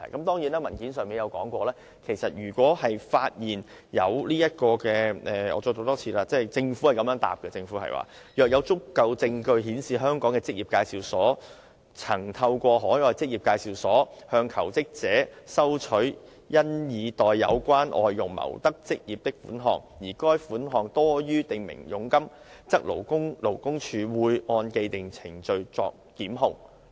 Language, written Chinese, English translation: Cantonese, 當然，正如文件上也列明——我再讀一次政府的答覆——政府表示若有足夠證據顯示香港的職業介紹所曾透過海外職業介紹所向求職者收取因已代有關外傭謀得職業的款項，而該款項多於訂明佣金，則勞工處會按既定程序作檢控。, Of course as stated in the paper―let me read out the Governments reply once again―The Government has stated that if there is sufficient evidence indicating that a Hong Kong employment agency has through an overseas employment agency received from jobseekers a payment on account of having obtained employment for such jobseekers and that the amount of payment concerned exceeds the prescribed commission the Labour Department will conduct prosecution in accordance with established procedures